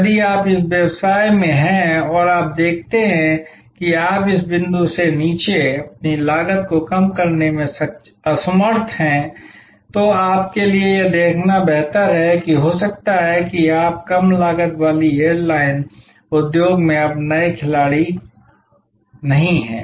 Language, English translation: Hindi, If you are in that business and you see that you are unable to reduce your cost below this point, then it is better for you to see that may be then you are no longer a player in the low cost airlines industry